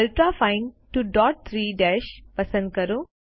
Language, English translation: Gujarati, Select Ultrafine 2 dots 3 dashes